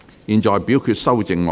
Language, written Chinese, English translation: Cantonese, 現在表決修正案。, The committee now votes on the amendments